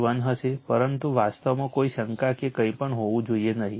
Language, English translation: Gujarati, 81 but actually, there should not be any doubt or anything